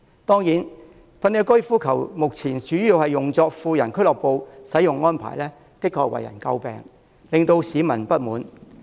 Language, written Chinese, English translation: Cantonese, 當然，粉嶺高爾夫球場目前主要用作富人俱樂部，這種使用安排的確為人詬病，令市民不滿。, Indeed the Fanling Golf Course is the subject of public criticism as it now to a large extent serves as a private club for wealthy people